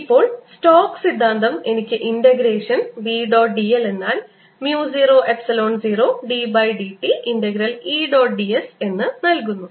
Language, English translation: Malayalam, now stokes theorem gives me b dot d l is integration is equal to mu, zero, epsilon, zero d by d t of e dot d s